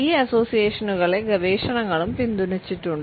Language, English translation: Malayalam, These associations have also been supported by research